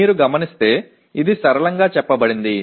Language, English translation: Telugu, As you can see it is simply stated